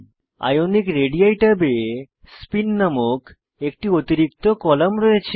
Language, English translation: Bengali, Ionic radii table has an extra column named Spin